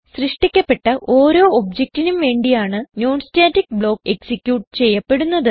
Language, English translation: Malayalam, A non static block is executedfor each object that is created